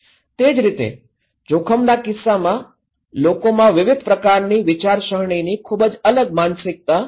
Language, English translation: Gujarati, Similarly, in case of risk people have very different mindset of different way of thinking